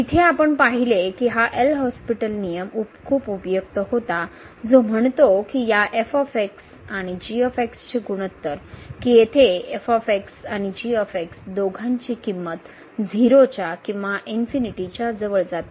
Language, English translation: Marathi, There what we have seen that this L’Hospital rule was very helpful which says that the ratio of this and where and both either goes to 0 or they both go to infinity